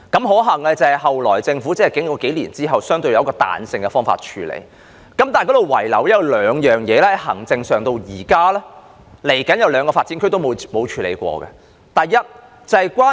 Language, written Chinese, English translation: Cantonese, 可幸的是，政府在數年後採用相對彈性的方法處理，但仍然遺留兩方面的問題，是未來兩個新發展區至今也沒有處理的行政問題。, Fortunately the Government adopted a relatively flexible approach a few years later but it has still left behind certain problems in two respects . Such problems are administrative problems that have remained unresolved even today in the development of two new development areas that follow